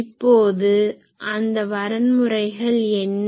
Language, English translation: Tamil, Now, what are those criteria’s